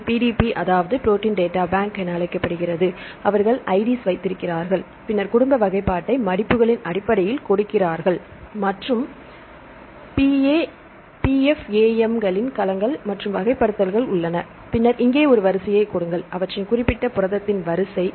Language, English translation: Tamil, So, they give the codes for the protein databank this is called the PDB right they have they give the ids then give the family classification right based on the folds and there are the classifications PFAM domains and so on right, then give a sequence here this is the sequence of their particular a protein